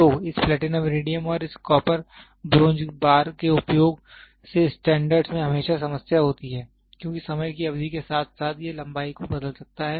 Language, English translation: Hindi, So the standards by using this Platinum Iridium and this copper bronze bar always have a problem because over a period of time it can change the length